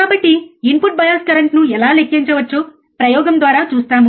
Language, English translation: Telugu, So, we will see the experiment of how we can calculate the input bias current, alright